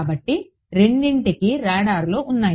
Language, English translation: Telugu, So, both of them have radars